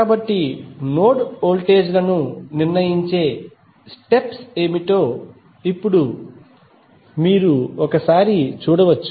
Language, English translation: Telugu, So, now you can summarize that what would be the steps to determine the node voltages